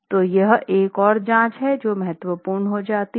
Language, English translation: Hindi, So, this is another check which becomes important